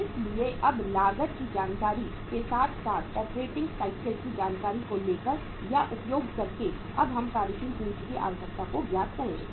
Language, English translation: Hindi, So now taking the uh or making the use of this uh say cost information as well as the operating cycle information we will now work out the say working capital requirement